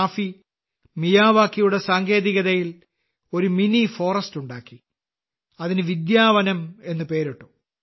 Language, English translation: Malayalam, After this, Raafi ji grew a mini forest with the Miyawaki technique and named it 'Vidyavanam'